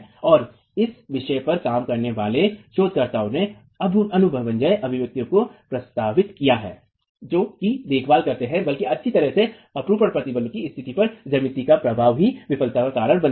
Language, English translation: Hindi, And researchers who worked on the subject have proposed empirical expressions that take care rather well the effect of the geometry on the state of shear stress causing failure itself